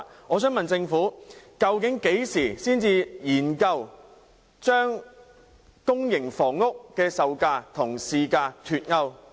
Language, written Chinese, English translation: Cantonese, 我想問政府究竟何時才會研究把資助公營房屋的售價與市價脫鈎？, I would like to ask the Government When exactly will it consider unpegging the selling prices of subsidized sale flats from market prices?